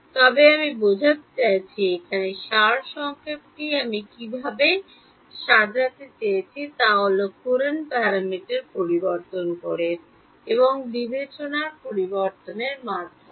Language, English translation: Bengali, But; I mean there sort of summary of what I wanted to sort of illustrate over here, is that by changing the courant parameter and by changing the discretization